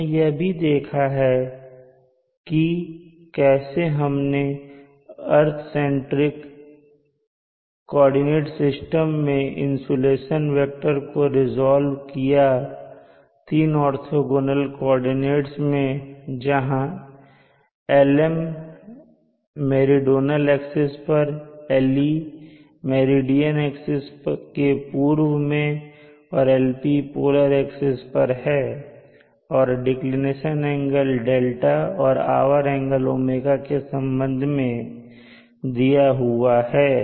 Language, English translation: Hindi, We have also seen the insulation vector being resolved along three orthogonal axis of the earth centric coordinate system and then we have the Lm along the meridional axis, Le along the east of the meridian axis and Lp along the polar axis given in this fashion has a function of d declination and